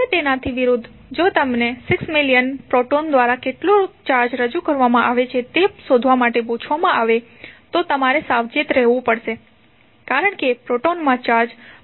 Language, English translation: Gujarati, Now, opposite to that if you are asked to find out how much charge is being represented by 6 million protons then you have to be careful that the proton will have charge positive of 1